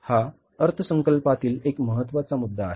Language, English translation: Marathi, It is a very important point in budgeting